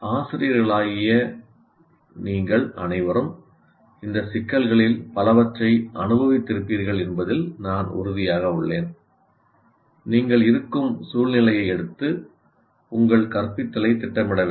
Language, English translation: Tamil, Because our instruction, and I'm sure all of you as teachers would have experienced many of these issues and you have to take the situation where you are in, take that into consideration and plan your instruction